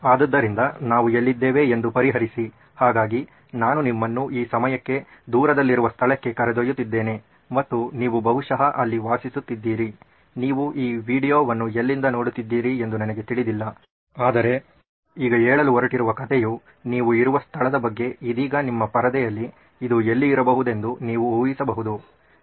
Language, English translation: Kannada, So solve is where we are at, so I’m going to take you to a place far away in time and far away you probably are living there, I don’t know where you are viewing this video from, but the place that we are going to talk about a story is set in this place on your screen right now, can you take a guess where this could be